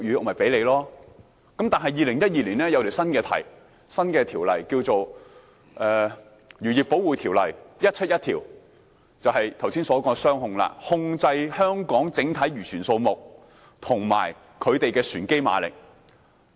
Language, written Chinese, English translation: Cantonese, 但是，政府在2012年頒布新條例，《漁業保護條例》，推出了剛才提到的"雙控"：控制香港整體漁船數目及其船機馬力。, But in 2012 the Government promulgated a new law the Fisheries Protection Ordinance Cap . 171 introducing the double control mentioned just now control on the total number of fishing vessels in Hong Kong and on vessel engine power